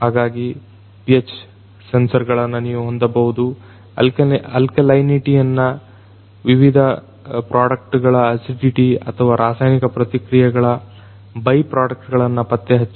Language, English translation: Kannada, So, you could have the pH sensors; detect the alkalinity, alkalinity or the acidity of the different products or the byproducts in the chemical reaction